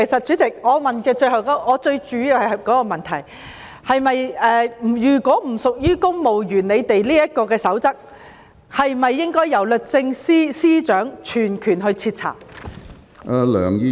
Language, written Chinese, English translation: Cantonese, 主席，我主要想問，如果不屬於《公務員守則》的規管範圍，此事是否應由律政司司長全權徹查？, President my question centres on whether the case should be thoroughly investigated by the Secretary for Justice at her absolute discretion if this case does not fall within the ambit of the Civil Service Code